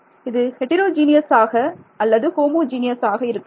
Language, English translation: Tamil, That is heterogeneous or homogeneous